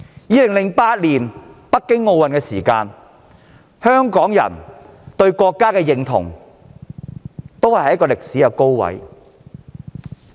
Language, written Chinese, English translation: Cantonese, 在2008年北京奧運期間，香港人對國家的認同處於歷史高位。, During the Beijing Olympics in 2008 Hong Kong peoples sense of national identity reached a record high